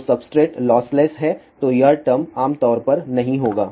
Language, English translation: Hindi, So, the substrate is lossless then this term will generally be not there